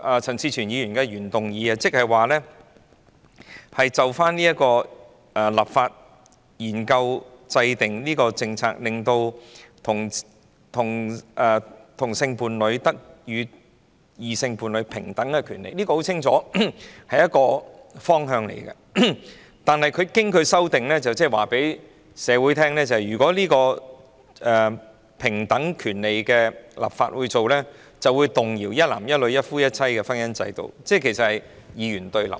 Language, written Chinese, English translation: Cantonese, 陳志全議員的原議案旨在研究立法、制訂政策，令同性伴侶得與異性伴侶享有平等的權利，這很清楚是一個方向，但經梁美芬議員修正後，即是告訴社會，如果政府為同性伴侶的平等權利立法，便會動搖一男一女、一夫一妻的婚姻制度，換言之是二元對立。, Mr CHAN Chi - chuens original motion aims to consider enacting legislation and study the formulation of policies so that homosexual couples can enjoy equal rights as heterosexual couples . This is clearly a direction but once amended by Dr Priscilla LEUNG it tells society that if the Government legislates to grant equal rights to homosexual couples it will shake the marriage institution based on one man and one woman and one husband and one wife . In other words it becomes a binary opposition